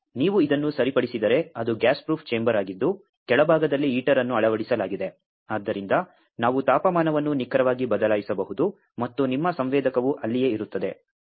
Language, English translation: Kannada, But if you just fix this one so it is a gas proof chamber with a heater embedded at the bottom; so, we can precisely change the temperature and your sensor remains there